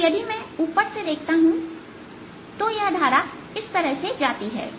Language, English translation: Hindi, so if i look at from the top, this current may be going like this